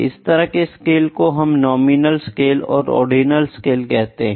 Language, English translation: Hindi, Now, this is the kind of scales nominal scale, ordinal scale